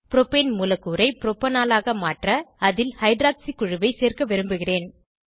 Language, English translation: Tamil, I want to add a hydroxy group to the Propane molecule, to convert it to Propanol